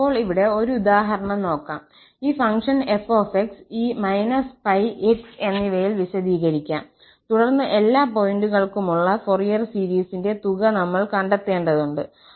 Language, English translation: Malayalam, Well, now just a quick example here, let this function f be defined by this minus pi and x, then we have to find the sum of the Fourier series for all points